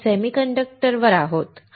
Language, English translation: Marathi, We are on the semiconductors